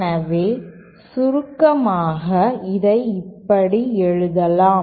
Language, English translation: Tamil, So in summary we can write it like this